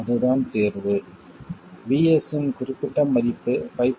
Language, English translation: Tamil, This is the value of VS and VS in this case is 5